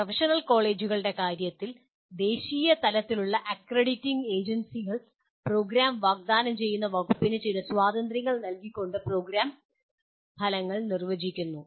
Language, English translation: Malayalam, In the case of professional courses, the national level accrediting agencies identify the program outcomes with some freedom given to the department offering the programs